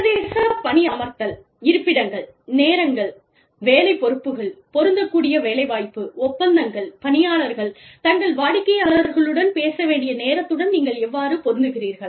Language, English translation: Tamil, International job postings locations, timing, job responsibilities, applicable employment contracts, you know, how do you match the time, when people need to talk to their clients, etcetera